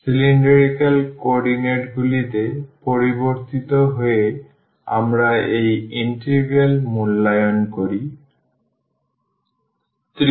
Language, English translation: Bengali, So, changing into cylindrical co ordinates we evaluate this integral